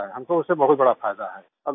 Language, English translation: Hindi, We have a great benefit through that